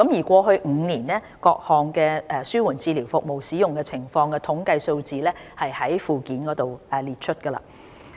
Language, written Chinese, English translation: Cantonese, 過去5年各項紓緩治療服務使用情況的統計數字載於附件。, Statistics on utilization of palliative care services in the past five years are at Annex